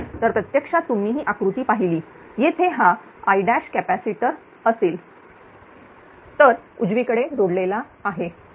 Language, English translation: Marathi, So, actually if you look at the diagram this I dash this capacitor is connected right